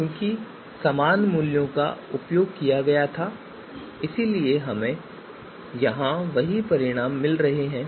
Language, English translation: Hindi, So the same values were used therefore we are getting the same results here